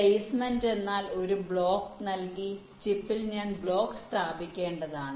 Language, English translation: Malayalam, placement means given a block where in the chip i have to place the block